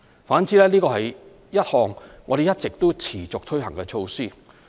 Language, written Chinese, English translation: Cantonese, 反之，這是一項我們一直持續推行的措施。, On the contrary this initiative has been implemented on an ongoing basis